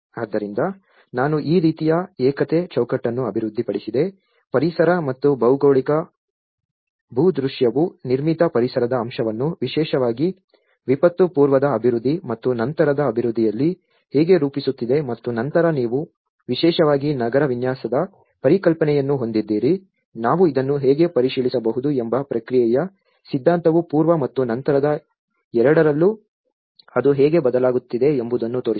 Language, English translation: Kannada, So, I developed this kind of framework of oneness, how the ecological environment and the geographical landscape is framing the built environment aspect especially, in the pre disaster development and the post disaster development and then you have the concepts of urban design especially, the theory of respond how we can check this spaces how it is changing in both the pre and post